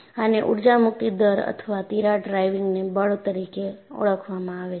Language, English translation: Gujarati, This is known as energy release rate or crack driving force